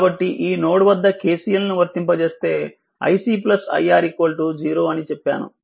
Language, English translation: Telugu, So, applying KCL at node I told you i C plus i R is equal to 0 right